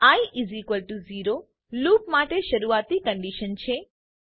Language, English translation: Gujarati, i =0 is the starting condition for the loop